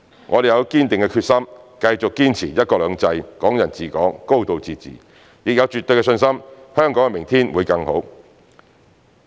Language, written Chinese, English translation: Cantonese, 我們有堅定決心繼續堅持"一國兩制"、"港人治港"、"高度自治"，也有絕對信心香港的明天會更好。, The Central Government has the resolve to continue to implement one country two systems under which the people of Hong Kong administer Hong Kong with a high degree of autonomy . It also has absolute confidence in ushering in a brighter future for Hong Kong